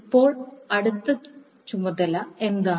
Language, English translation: Malayalam, Now, what is the next task